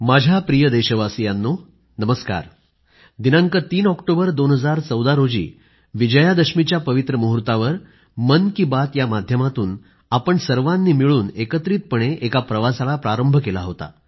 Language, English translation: Marathi, On the 3rd of October, 2014, the pious occasion of Vijayadashmi, we embarked upon a journey together through the medium of 'Mann Ki Baat'